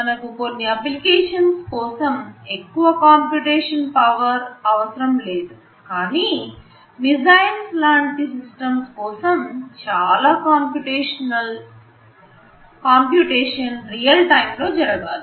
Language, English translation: Telugu, For some applications you do not need too much computation power, but for a system like missile lot of computations need to take place in real time